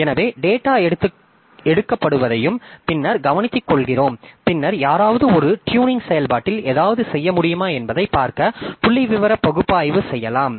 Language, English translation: Tamil, So that is also taken care that data is taken and later on somebody may do a do a statistical analysis to see whether we can do something in the tuning process